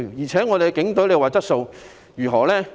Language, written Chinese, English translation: Cantonese, 再說，我們的警隊質素如何？, Furthermore what is the quality of our Police Force?